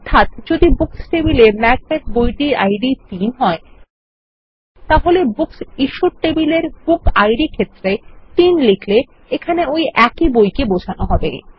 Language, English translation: Bengali, So if the book, Macbeth, has its Book Id as 3 in the Books table, Then by using 3 in the Book Id of the Books Issued table, we will still be referring to the same book